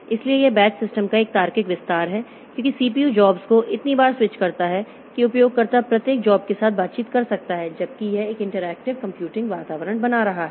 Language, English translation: Hindi, So, this is a logical extension of batch systems because CPU switches jobs so frequently that users can interact with each job while it is running and creating an interactive computing environment